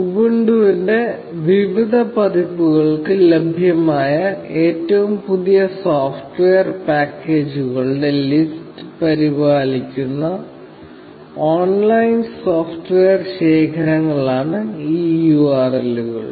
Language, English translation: Malayalam, These URLs are online software repositories, which maintain the list of latest software packages available for various versions of Ubuntu